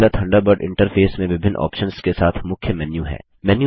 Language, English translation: Hindi, The Mozilla Thunderbird interface has a Main menu with various options